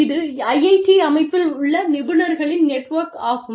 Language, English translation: Tamil, This is a network of professionals, within the IIT system